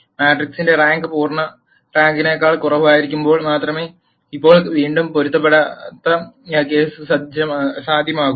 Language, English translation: Malayalam, Now again inconsistent case is possible, only when the rank of the matrix is less than full rank